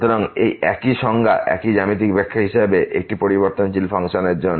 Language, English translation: Bengali, So, this is the same definition same geometrical interpretation as we have for the function of one variable